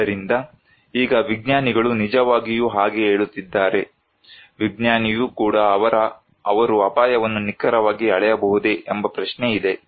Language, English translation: Kannada, So, now if the scientists are really saying that, the question is even the scientist can they really measure the risk accurately